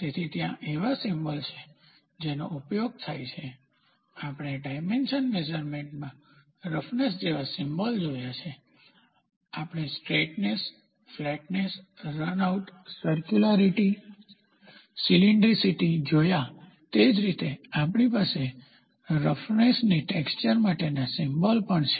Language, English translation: Gujarati, So, there are symbols which are used like, what we in the dimension measurement we saw symbols like roughness, we did saw straightness, flatness, runout, circularity, cylindricity same way we also have the symbols for surface texture